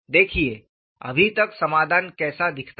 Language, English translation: Hindi, sSee as of now, how does the solution look like